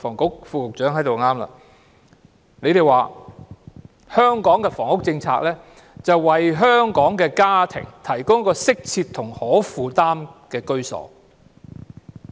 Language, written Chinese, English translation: Cantonese, 局方說香港的房屋政策，目標是為香港的家庭提供一個適切及可負擔的居所。, The Bureau has stated that the objective of the housing policy in Hong Kong is to provide adequate and affordable housing for Hong Kong families